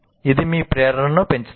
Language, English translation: Telugu, It will enhance your motivation